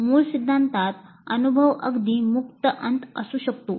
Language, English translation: Marathi, So in the original theory the experience can be quite open ended